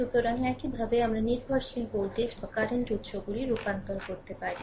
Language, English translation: Bengali, So, dependent voltage source will be converted to dependent current source right